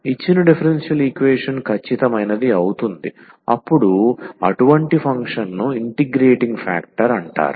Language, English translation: Telugu, The given differential equation becomes exact then such a function is called the integrating factor